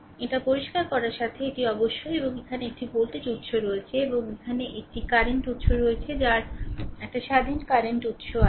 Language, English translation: Bengali, With this let me clear it and of course, here you have a one voltage source here and here you have 1 current source here also you have one independent current source right